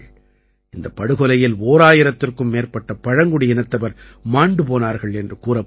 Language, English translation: Tamil, It is said that more than a thousand tribals lost their lives in this massacre